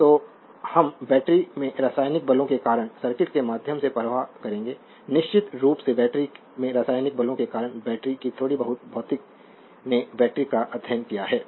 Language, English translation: Hindi, So, we will flow through the circuit due to chemical forces in the battery right due to the chemical forces in the battery of course, little bit of your battery you calling little bit of physics your in physics you have studied the battery is right